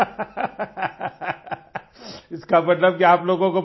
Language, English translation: Hindi, laughing That means that you people get